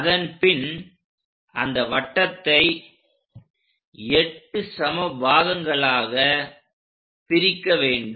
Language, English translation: Tamil, After that, divide the circle into 8 equal parts